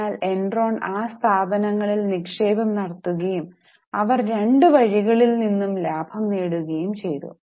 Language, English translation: Malayalam, So, Enron was making investment in those firms and they were making profits from both the ways